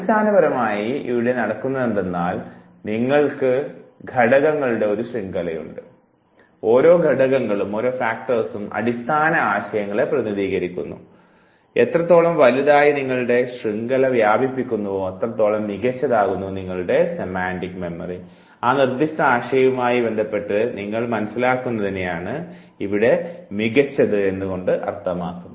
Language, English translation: Malayalam, Therefore basically what happens here you have a network of nodes and each of the nodes, they represent the basic concept the more and more you spread the network higher and better is your semantic memory, the much better is the understanding of yours with respect to that specific concept